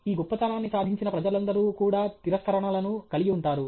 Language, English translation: Telugu, All people who have achieved this greatness also, those people also have rejections